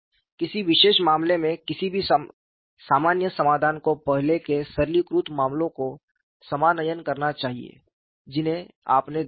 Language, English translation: Hindi, Any general solution in a particular case should reduce to the earlier simplified cases that you are looked at